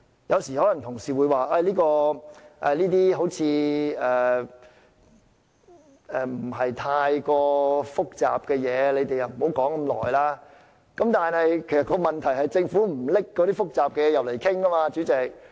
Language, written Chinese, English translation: Cantonese, 有時候，同事可能會說這些事情並不太複雜，故我們不應討論這麼久，但問題是政府不把複雜的問題提交立法會討論，主席。, Sometimes Honourable colleagues may say such matters are not too complicated and so we should not engage in a lengthy discussion . But the very problem is the Government does not table complicated matters before the Legislative Council for discussion President